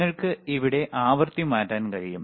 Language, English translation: Malayalam, Now, you can you can change the frequency here